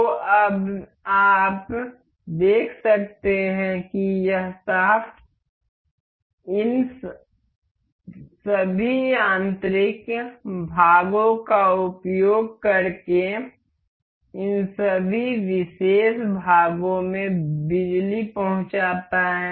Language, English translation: Hindi, So, now you can see this shaft transmits power to all of the transmits the power to all of these particular parts using this mechanical mates